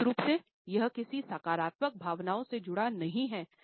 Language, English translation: Hindi, Definitely it is not associated with any positive feelings